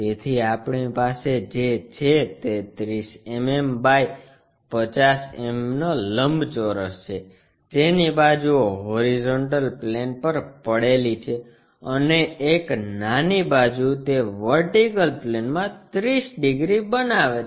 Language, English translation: Gujarati, So, what we have is a 30 mm by 50 mm rectangle with the sides resting on horizontal plane, and one small side it makes 30 degrees to the vertical plane